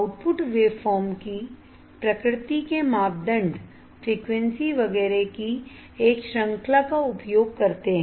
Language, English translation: Hindi, Nature of the output waveform parameters used a range of frequencies etcetera